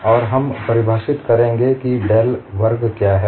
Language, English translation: Hindi, And we will define what del square is